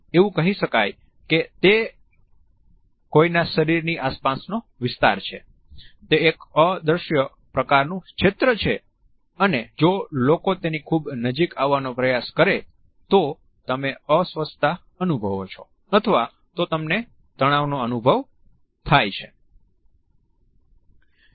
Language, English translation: Gujarati, Well, we said that it is an area around somebody’s body it is an invisible kind of zone and if people go into it too closely you start to feel uncomfortable, you start to feel that stress of too much proximity